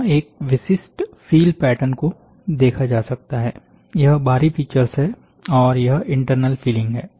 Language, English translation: Hindi, A typical fill pattern can be seen, so this is the; this is the external feature, and this is the fill internal fill